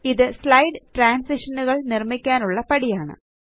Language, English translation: Malayalam, This is the step for building slide transitions